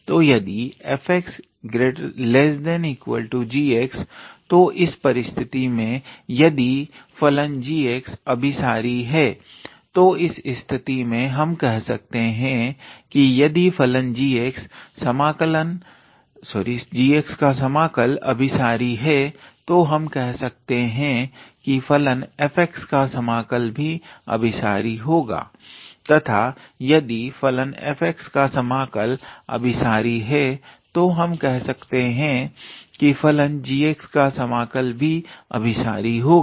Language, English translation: Hindi, So, if f x is less or equal to g x then in that case if the function g x is convergent, then in that case we can say that the if the integral of the function g x is convergent, then we can say that the integral of the function f x is convergent and if the integral of the function f x is divergent then the integral of the function g x is also divergent